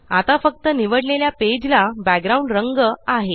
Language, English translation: Marathi, Now only the selected page has a background color